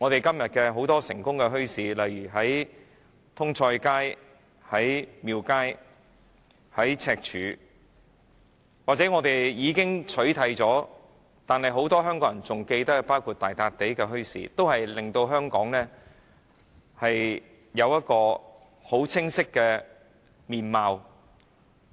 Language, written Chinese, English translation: Cantonese, 今天很多成功的墟市，例如通菜街、廟街和赤柱，又或是已經不存在但很多香港人仍然記得的大笪地墟市，均清晰地將香港市民的精神面貌呈現出来。, The many successful bazaars of today such as the ones in Tung Choi Street Temple Street and Stanley or the bazaar at Sheung Wan Gala Point which no longer existed but was still well remembered by many Hong Kong people can clearly present the spirit and features of Hong Kong people